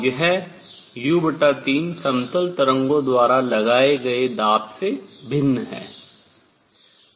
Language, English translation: Hindi, This u by 3 is different from the pressure applied by plane waves